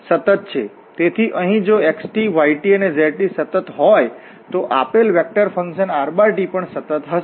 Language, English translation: Gujarati, So, here if these xt, yt and zt these are continuous, then the given vector function rt will be also continuous